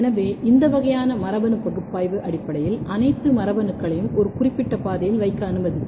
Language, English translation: Tamil, So, this kind of genetic analysis will basically allow you to place all these mutants or all these genes in a particular pathway and to generate a kind of genetic pathways